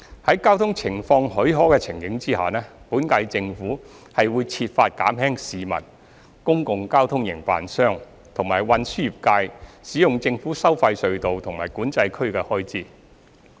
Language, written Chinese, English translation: Cantonese, 在交通情況許可的情形下，本屆政府會設法減輕市民、公共交通營辦商及運輸業界使用政府收費隧道和管制區的開支。, When traffic conditions permit the Government of the current term will seek to reduce the expenses incurred by the public public transport operators and transport trades in using government tolled tunnels and Control Areas